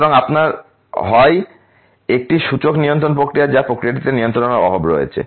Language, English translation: Bengali, So, you have either have an indication control process or a lack of control in the process